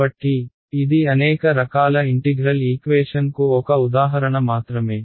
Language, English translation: Telugu, So, this is just one example of many types of integral equations